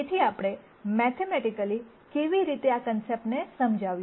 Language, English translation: Gujarati, So, how do we explain these concepts mathematically